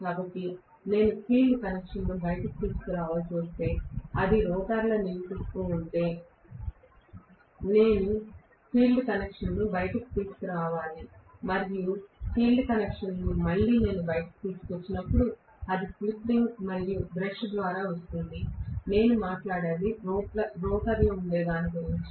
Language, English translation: Telugu, So, if I had to bring the field connections out, if it is residing in the rotor I have to bring the field connections out and the field connections when I bring out again, it will come through slip ring and brush, if I am talking about it sitting in the rotor